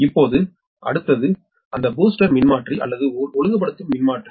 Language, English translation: Tamil, next, is that booster transformer or regulating transformer